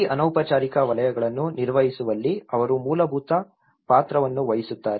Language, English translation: Kannada, They play a fundamental role in handling these informal sectors